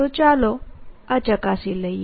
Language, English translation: Gujarati, so let us verify this